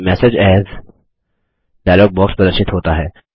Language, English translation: Hindi, The Save Message As dialog box appears